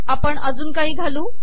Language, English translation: Marathi, Lets add some more